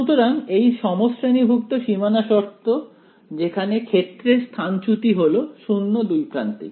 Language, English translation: Bengali, So, it is like a homogeneous boundary condition where the field is displacement is 0 at both ends